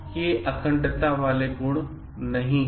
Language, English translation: Hindi, These are not qualities of people with integrity